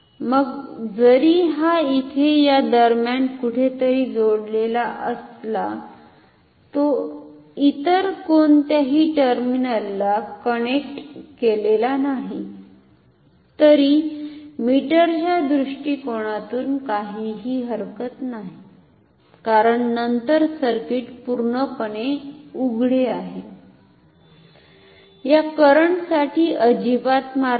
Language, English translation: Marathi, Then even if the which is say somewhere in between it is not connected to any other of terminals no problem I am no problem from the perspective of the meter, because then the circuit is completely open there is no path for this current to flow at all